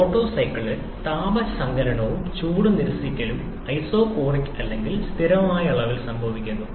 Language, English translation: Malayalam, In Otto cycle, both heat addition and heat rejection are isochoric or happening at constant volume